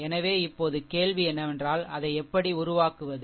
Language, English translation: Tamil, So now, question is that ah ah how to make it